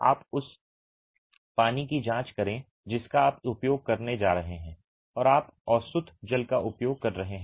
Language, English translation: Hindi, You check the water that you are going to be using and you are using distilled water